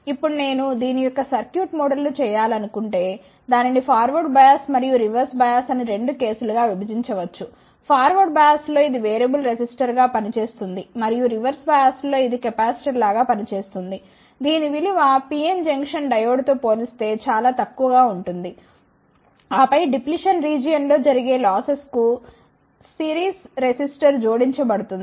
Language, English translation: Telugu, Now, if I want to make a circuit model of this it can be divided into 2 cases the forward bias and the reverse bias, in the forward bias it acts like a variable resistor and in the reverse bias it is x like ah capacitor whose value will be much less as compared to the PN junction diode, and then a series resistor is added to account for the losses in the depletion region